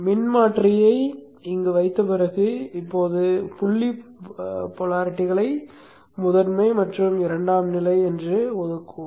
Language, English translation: Tamil, After having placed the transformer here, let us now assign the dot polarities to the primary and the secondary